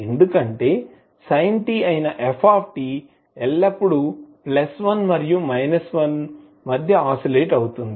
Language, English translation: Telugu, Because the function f t that is sin t will always oscillate between plus+ 1 and minus 1